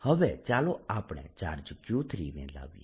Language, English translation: Gujarati, next let's bring in charge q four